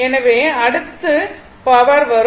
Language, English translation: Tamil, So, next is power